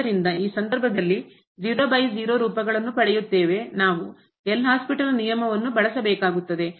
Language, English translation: Kannada, So, in this case, so 0 by 0 forms we have to use the L’Hospital’s rule